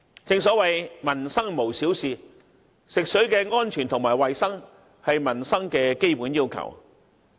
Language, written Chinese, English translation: Cantonese, 正所謂"民生無小事"，食水安全及衞生是民生的基本要求。, Every livelihood issue is a big deal and the safety of drinking water and health are among peoples fundamental needs in daily living